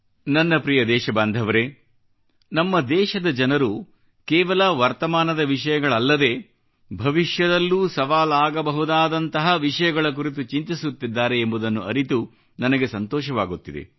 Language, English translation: Kannada, My dear countrymen, I am happy that the people of our country are thinking about issues, which are posing a challenge not only at the present but also the future